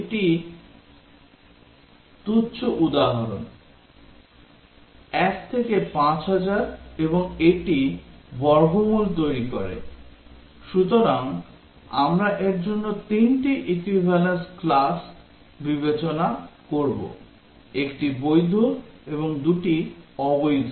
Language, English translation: Bengali, This is trivial example, 1 to 5000 and it produces the square root, so we will consider three equivalence classes for this; 1 valid and 2 invalid